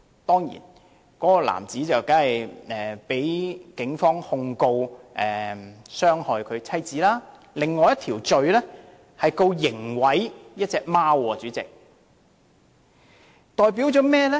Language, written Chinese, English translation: Cantonese, 事後該名男子除了被警方控告傷害妻子外，亦被控一項刑事毀壞貓隻的罪名。, After the man was caught by the Police he was prosecuted for an assault charge against his wife as well as a criminal damage charge against a cat